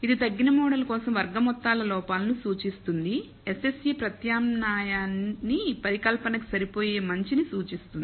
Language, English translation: Telugu, So, this represents the sum squared errors for the reduced order model fit, SSE represents the goodness of fit for the alternate hypothesis fit